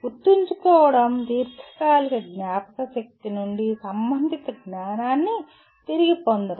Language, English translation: Telugu, Remembering is retrieving relevant knowledge from the long term memory okay